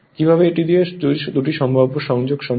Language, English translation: Bengali, How we will do it that two possible connections are possible